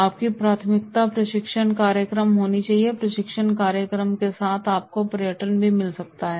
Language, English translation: Hindi, Your priority should be the training program, with the training program you can have the tourism also